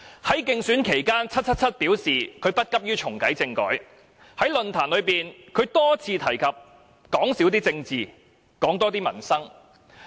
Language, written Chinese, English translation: Cantonese, 在競選期間 ，"777" 表示她不急於重啟政改；在選舉論壇上，她多次提及少談政治，多談民生。, During the election campaign 777 expressed that she saw no urgency in reactivating the constitutional reform . She had repeatedly mentioned in the election forums that one should talk more about the peoples livelihood and less about politics